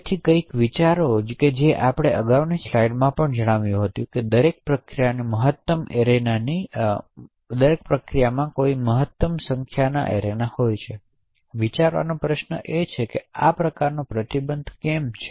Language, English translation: Gujarati, So, something to think about we mentioned in the previous slide that each process has a maximum number of arenas that are present, now the question over here to think about is why is there such a restriction in the number of arenas